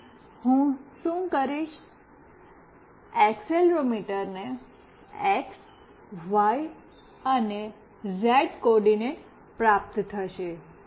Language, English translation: Gujarati, So, what I will be doing, the accelerometer will be getting the x, y, z coordinates